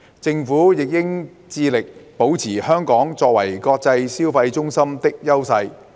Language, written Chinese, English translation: Cantonese, 政府亦應致力保持香港作為國際消費中心的優勢。, The Government should also strive to maintain Hong Kongs advantages as an international consumption centre